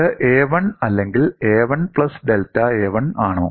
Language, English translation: Malayalam, Is it a 1 or a 1 plus delta a